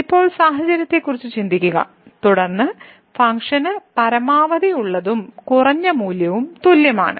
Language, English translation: Malayalam, Now, think about the situation, then the where the function is having maximum and the minimum value as same